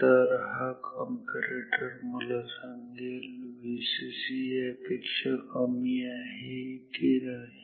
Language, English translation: Marathi, So, this comparator will tell me if the V c c is lower than this